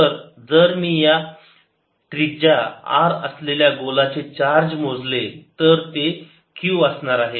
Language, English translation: Marathi, so if i calculate the charge in a sphere of radius r, this is going to be q, let's call it q